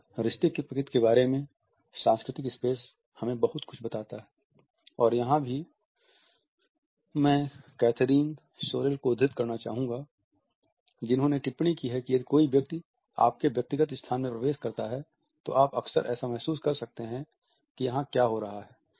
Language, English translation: Hindi, Cultural space tells us a lot “about the nature of a relationship” and here I would like to quote Kathryn Sorrell who has commented “so, if someone comes more into a personal space, then you are used to you can often feel like, ‘what is happening here